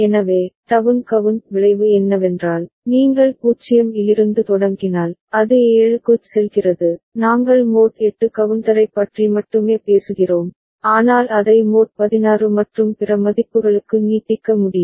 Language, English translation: Tamil, So, down count consequence is if you start from 0, then it goes to 7 we are talking about mod 8 counter only right, but it can be extended to mod sixteen and other values